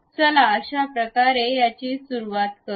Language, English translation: Marathi, Let us begin it in this way